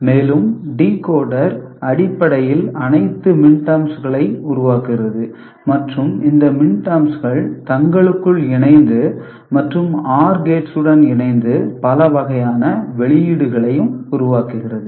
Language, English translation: Tamil, And decoder essentially generates all the minterms and these minterms can be combined together with OR gates to produce many different kind of output